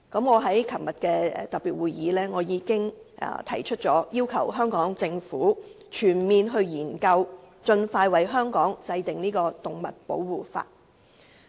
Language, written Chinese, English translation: Cantonese, 我在昨天舉行的特別會議上，已要求香港政府展開全面研究，盡快為香港制定動物保護法例。, At the special meeting held yesterday I requested the Hong Kong Government to conduct a comprehensive study and expeditiously introduce a law on animal protection in Hong Kong . Today the amendment to Cap